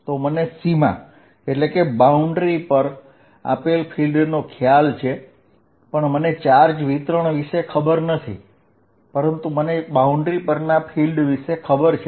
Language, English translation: Gujarati, So, what I will say is, field given at a boundary I do not know about the charge distribution but I do know field about a boundary